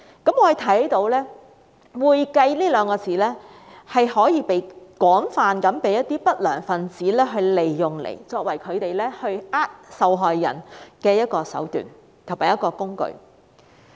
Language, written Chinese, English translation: Cantonese, 我們看到"會計"這兩個字被一些不良分子廣泛利用，作為他們欺騙受害人的一種手段和工具。, We can see that the word accounting has been widely used by undesirable elements as a means and a tool to cheat victims